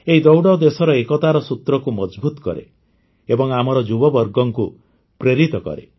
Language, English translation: Odia, This race strengthens the thread of unity in the country, inspires our youth